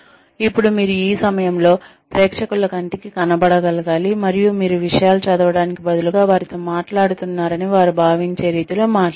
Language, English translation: Telugu, Then, you should, at this point, you should be able to make eye contact with the audience, and talk in a manner, that they feel that, you are actually speaking with them, instead of reading things out